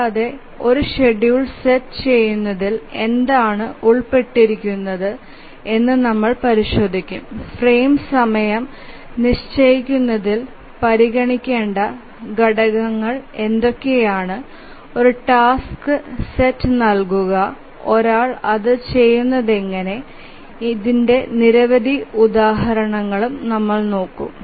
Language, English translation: Malayalam, We will examine what is involved in setting up a schedule in fixing the frame time, what are the factors to be considered and given a task set how does one go about doing it